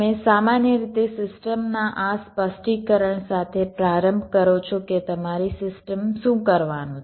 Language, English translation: Gujarati, you typically start with this specification of a system, what your system is suppose to do